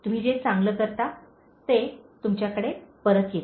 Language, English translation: Marathi, The good you do, comes back to you